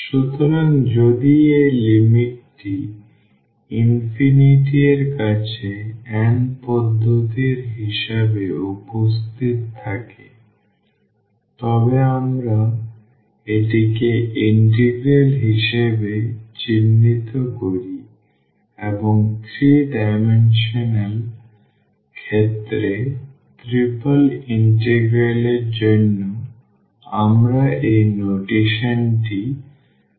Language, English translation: Bengali, So, taking if this limit exists as n approaches to infinity in that case we call this as integral and the notation for this integral in the 3 dimensional case or for the triple integral we use this notation